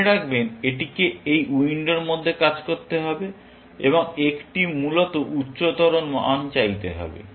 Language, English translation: Bengali, Remember, it has to operate within this window, and seek a higher value, essentially